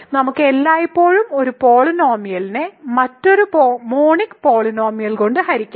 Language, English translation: Malayalam, So, we can always divide one polynomial by another monic polynomial